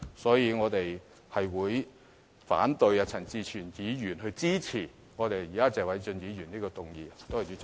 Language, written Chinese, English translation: Cantonese, 因此，我們會反對陳志全議員的議案，而支持謝偉俊議員現時的議案。, For this reason we will oppose Mr CHAN Chi - chuens motion but support the present motion moved by Mr Paul TSE